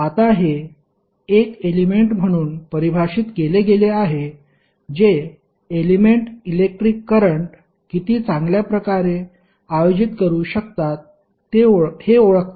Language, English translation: Marathi, Now, it is defined as a major of how well an element can conduct the electric current